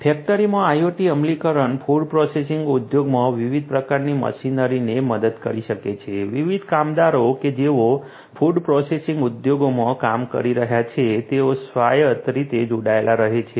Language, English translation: Gujarati, In the factory IoT implementations can help the different machineries in the food processing industry, the different workers who are working in the food processing industry to remain connected autonomously